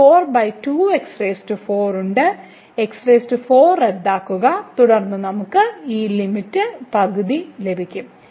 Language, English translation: Malayalam, So, 4 get cancel and then we get this limit half